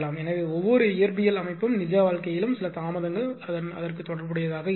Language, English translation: Tamil, So, every physical system are in real life also some delay will be associated with that right